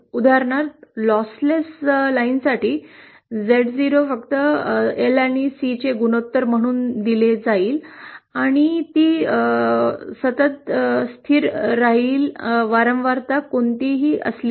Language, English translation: Marathi, For example, for lossless lines, Z0 will be simply given as the ratio of L upon C and would be constant irrespective of the frequency